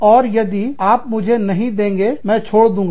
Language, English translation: Hindi, And, if you do not give it to me, i will quit